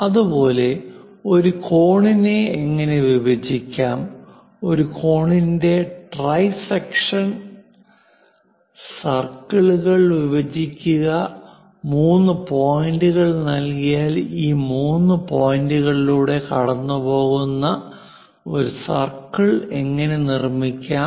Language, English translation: Malayalam, Similarly, how to bisect an angle, how to trisect an angle, how to divide circles, if three points are given how to construct a circle passing through these three points